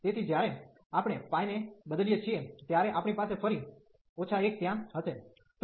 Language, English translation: Gujarati, So, when we substitute pi, we will have again minus 1 there